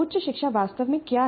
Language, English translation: Hindi, What exactly constitutes higher education